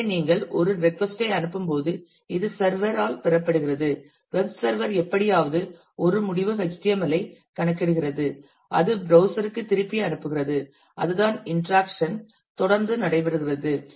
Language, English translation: Tamil, So, when you send a request this is received by the server; web server somehow computes a result HTML and that send back to the browser and that is how the interaction keeps on happening